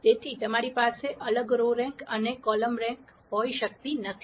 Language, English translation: Gujarati, So, you cannot have a different row rank and column rank